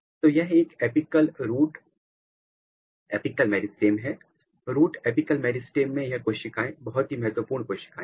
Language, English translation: Hindi, So, this is a typical epical root apical meristem; in root apical meristem these cells are very very important cell